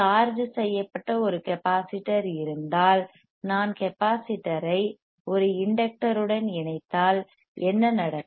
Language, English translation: Tamil, If there is a capacitor which is charged and if I connect the capacitor to an inductor, what will happen